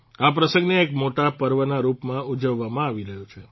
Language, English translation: Gujarati, This occasion is being celebrated as a big festival